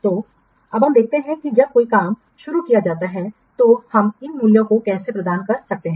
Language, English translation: Hindi, So now let's see in case of when a work is started, how we can assign these worth values, the unvalues